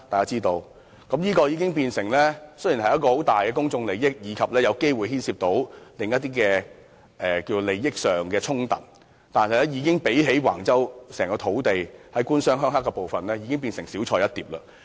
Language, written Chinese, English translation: Cantonese, 這宗事件雖然牽涉重大公眾利益，並有機會涉及另一些利益衝突，但較諸橫洲土地的"官商鄉黑"問題，已是小菜一碟。, Although this incident was a matter of significant public interest and might involve conflict of interests it paled into insignificance when compared with the government - business - rural - triad issue concerning the land at Wang Chau